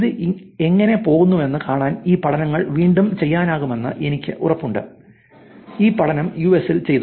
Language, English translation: Malayalam, I am pretty sure these studies can be done again to see how it goes and this study was done in the US